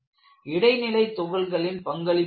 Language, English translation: Tamil, Then, what happens to intermediate particles